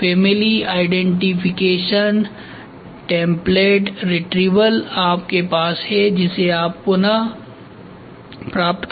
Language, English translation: Hindi, So, identification family identification template retrieval so, whatever is there you retrieve it